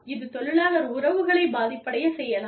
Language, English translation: Tamil, It can affect, employee relations